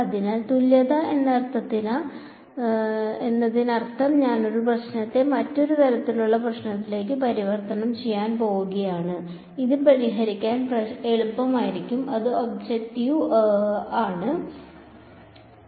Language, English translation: Malayalam, So, equivalence means I am going to convert one problem to another kind of problem which may be easier to solve that is the objective ok